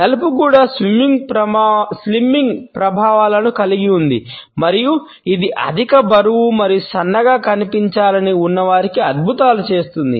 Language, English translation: Telugu, Black also has slimming effects and it works wonders for people who are overweight and need to look slimmer for a spoke